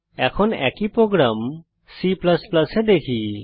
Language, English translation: Bengali, Now let us see the same program in C++